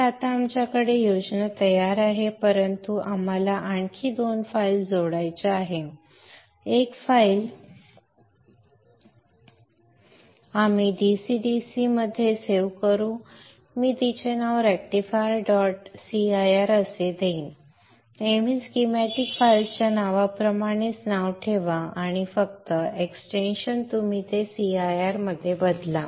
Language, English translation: Marathi, So we have now the schematic ready but we have to add two more files, one file we will save as into the DCDC I will name it as rectifier dot CIR always keep the same the same name as that was schematic file name and only the extension you change it to CIR save that and here first line is always a comment